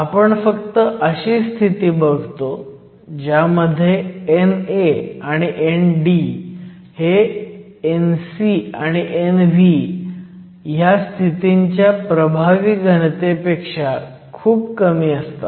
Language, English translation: Marathi, We also only consider the situation where N A and N D are much smaller than the effective density of states N c and N v